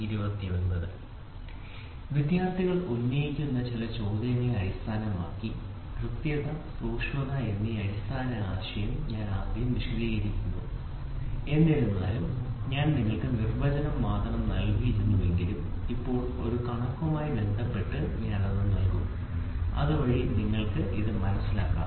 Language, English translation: Malayalam, Ok based on some of the queries which are raised by the students I would like to explain first a basic concept called accuracy and precision though I gave you only the definition now I will give it with respect to a figure, so that you can appreciate it